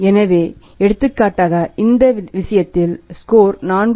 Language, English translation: Tamil, So, for example in this case we have found today score is 4